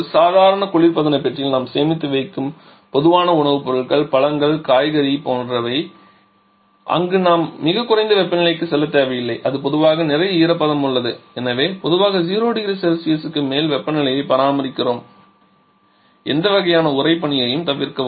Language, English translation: Tamil, Like the common food stuffs, fruits, vegetables that we store in a normal relation compartment there we we do not need to go for very low temperatures there we generally have lots of moisture content and therefore we generally maintain the temperature above 0 degree Celsius to avoid any kind of freezing